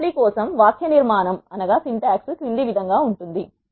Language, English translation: Telugu, The syntax for the lapply is as follows